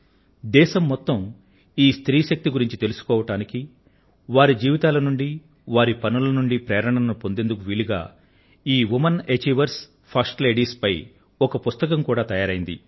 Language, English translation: Telugu, A book has beencompiled on these women achievers, first ladies, so that, the entire country comes to know about the power of these women and derive inspiration from their life work